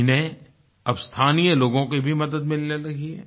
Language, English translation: Hindi, They are being helped by local people now